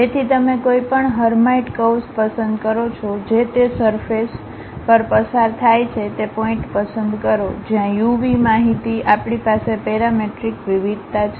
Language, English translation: Gujarati, So, you pick any Hermite curve, which is passing on that surface pick that point, where u v information we have parametric variation